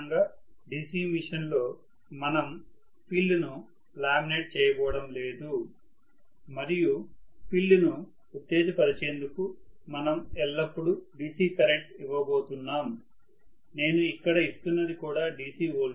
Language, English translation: Telugu, (())(33:04) Generally in DC machine we are not going to laminate the field and we are going to always give a DC current, DC current to excite the field, so what I am giving here is also a DC voltage, this is a DC voltage and this is a DC current